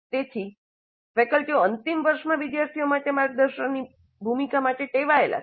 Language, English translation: Gujarati, So faculty are accustomed to the role of a mentor in the final year for the students in the final year